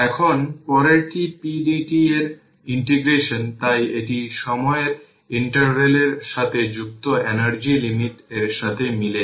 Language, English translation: Bengali, So, now next is the integration of p dt so the it is it if the energy associated with the time interval corresponding to the limits on the integral right